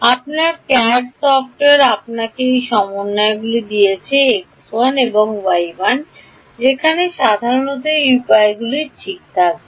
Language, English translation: Bengali, Your CADD software has given you these coordinates x 1, y 1 you typically have 0 control over where these elements will be ok